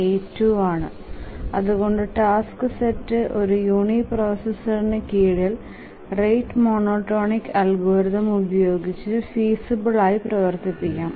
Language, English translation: Malayalam, 82 and therefore the task set can be run feasibly on a uniprocessor under the Ratt monotonic algorithm